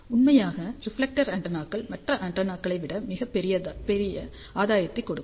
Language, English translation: Tamil, In fact, reflector antennas can give much larger gain then any of these antennas